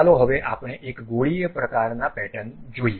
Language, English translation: Gujarati, Now, let us look at circular kind of pattern